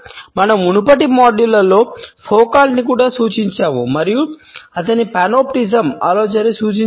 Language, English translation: Telugu, We have also refer to Foucault in one of the previous modules and have referred to his idea of Panopticism